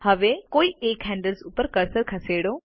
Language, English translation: Gujarati, Now move the cursor over one of the handles